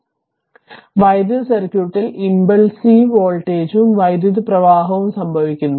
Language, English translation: Malayalam, So, impulsive voltage and currents occur in electric circuit as a result